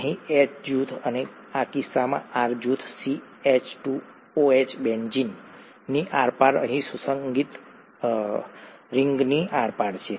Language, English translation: Gujarati, The H group here and the R group in this case happens to be the CH2 OH across a , across an aromatic ring here